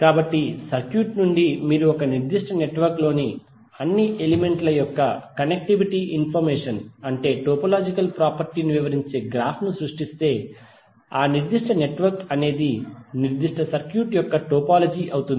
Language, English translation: Telugu, So from the circuit if you create a graph which describe the topological property that means the connectivity information of all the elements in a particular network, then that particular network will be the topology of that particular circuit